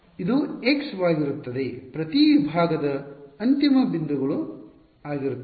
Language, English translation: Kannada, So, this will be d x right the endpoints for each segment will be there right